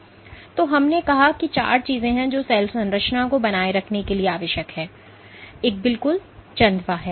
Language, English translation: Hindi, So, we said that there are four things which are essential for maintaining the cell structure; one of course, is the canopy